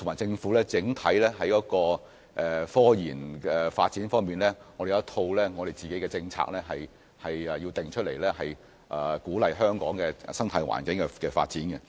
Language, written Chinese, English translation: Cantonese, 政府要在科研發展方面制訂一套整體政策，以鼓勵科研在香港的生態環境下發展。, The Government needs to formulate an overall policy for scientific research development to encourage such development in the ecological environment of Hong Kong